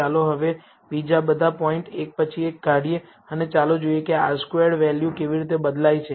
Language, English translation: Gujarati, Now, let us remove all the other points one by one and let us see how the R squared value changes